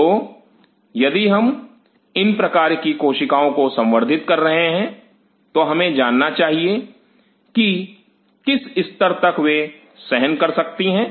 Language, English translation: Hindi, So, if we are culturing these kinds of cells, we should know that what is the level they can withstand